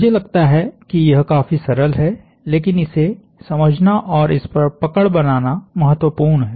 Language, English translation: Hindi, I think its fairly simple, but important to grasp and understand